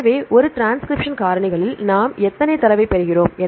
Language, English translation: Tamil, So, in a transcription factors how many data we get